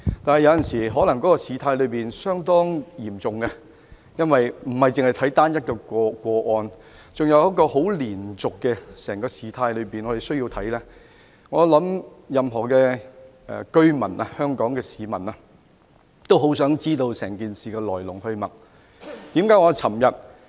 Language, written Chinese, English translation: Cantonese, 然而，有時候，事態可以相當嚴重，因為我們並非只看單一個案，還要視乎整個事態的連續發展，我相信任何香港市民也很想知道整件事情的來龍去脈。, Nevertheless the situation can sometimes be rather serious as we are not looking at one single case but have to pay attention to the ongoing development of the overall saga . I believe anyone in Hong Kong also wants to know the cause and development of the whole saga